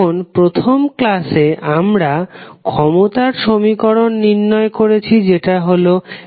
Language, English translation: Bengali, So, now in first lecture we derived the equation of power that was P is equal to V I